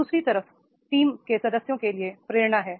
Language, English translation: Hindi, Other side is motivation to team members